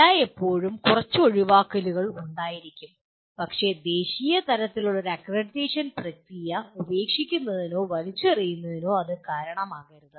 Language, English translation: Malayalam, There will always be a few exceptions but that should not be the reason for giving away or throwing away a national level accreditation process